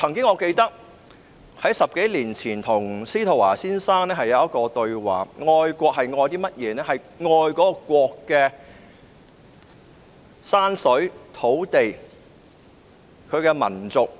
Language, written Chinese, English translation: Cantonese, 我記得在10多年前曾與司徒華先生對話，我們談到愛國其實愛的是甚麼。, I recall a conversation with Mr SZETO Wah a dozen years ago about where the love was in patriotism